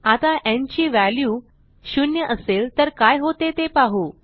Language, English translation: Marathi, Now let us see what happens when the value of n is 0